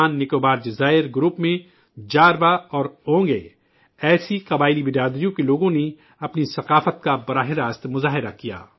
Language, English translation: Urdu, In the AndamanNicobar archipelago, people from tribal communities such as Jarwa and Onge vibrantly displayed their culture